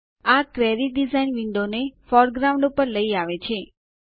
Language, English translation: Gujarati, This brings the Query design window to the foreground